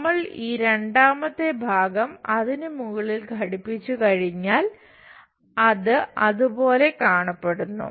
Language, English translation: Malayalam, Once we attach this second part on top of that it looks like that